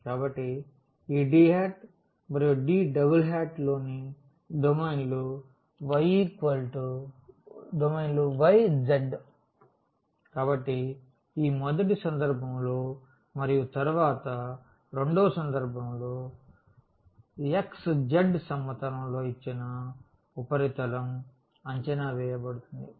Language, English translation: Telugu, So, this D hat and D double hat are the domains in the y z; so, in this first case and then in the second case in xz planes in which the given surface is projected